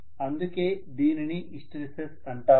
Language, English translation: Telugu, That is why we call it as hysteresis